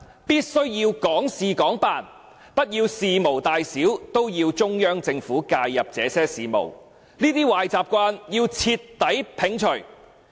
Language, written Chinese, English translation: Cantonese, 必須要港事港辦，不要事無大小都要中央政府介入這些事務，這些壞習慣要徹底摒除。, No doubt it must be administering Hong Kong affairs in the Hong Kong way . We should root up the bad habit of asking the Central Government to interfere with our affairs at every turn